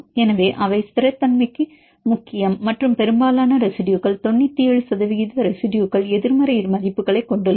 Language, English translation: Tamil, So, they are important for the stability and most of the residues for example, 97 percent of the residues which are having the negative values